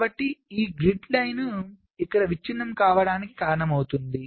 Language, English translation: Telugu, so this causes this grid line to be broken